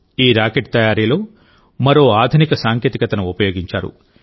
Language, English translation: Telugu, Another modern technology has been used in making this rocket